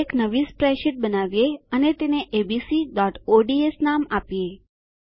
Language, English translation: Gujarati, Lets create a new spreadsheet and name it as abc.ods